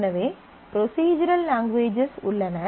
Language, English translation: Tamil, So, there are procedural languages